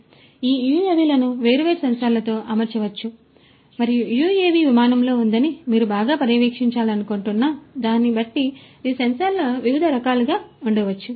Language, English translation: Telugu, And, these UAVs could be fitted with different sensors and these sensors could be of different types depending on what you want to monitor well the UAV is on flight